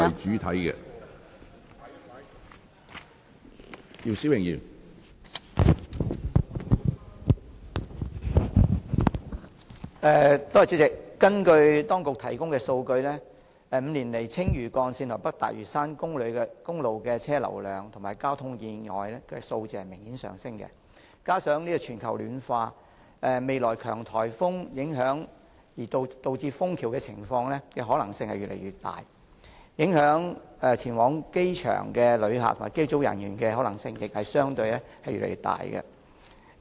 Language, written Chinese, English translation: Cantonese, 主席，根據當局提供的數據 ，5 年來，青嶼幹線及北大嶼山公路的車輛流量及交通意外的數字明顯上升，加上全球暖化，未來強颱風影響而導致封橋的可能性越來越大，影響前往機場的旅客及機組人員的可能性，亦相對越來越大。, President according to the figures provided by the authorities over the past five years the traffic flow and the number of traffic accidents on Lantau Link and North Lantau Highway have obviously risen . With the additional factor of global warming there is a higher possibility of bridge closure due to severe typhoons thus affecting the travellers and flight crew heading to the airport